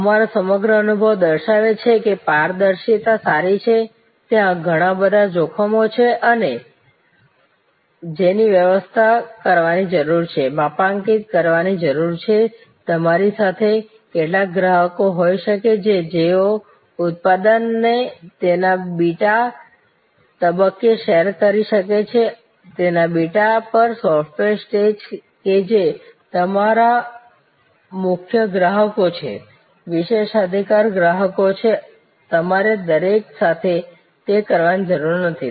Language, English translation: Gujarati, So, and the whole our experience shows that transparency is good, there is a amount of risk that needs to be managed, need to calibrate it, you can have some customers with you can share a product at its beta stage, software at its beta stage that are your core customers, privilege customers you do not need to do it with everybody